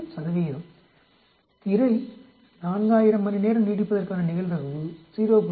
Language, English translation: Tamil, Probability that the screen will last more 4000 hours is 0